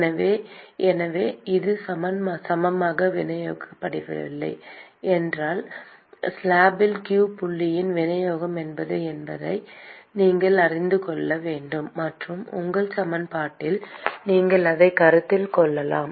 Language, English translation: Tamil, So, therefore if it is unevenly distributed, then you will have to know what is the distribution of q dot in the slab; and you could consider that in your equation